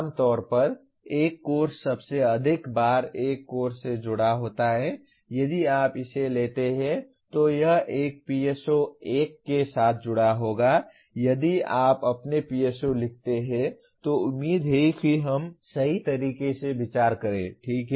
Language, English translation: Hindi, Generally a course is associated with most of the times a course any course if you take it will be associated with one PSO1 if you write your PSOs hopefully what we consider the right manner, okay